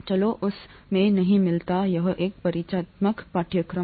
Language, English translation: Hindi, Let’s not get into that, this is an introductory course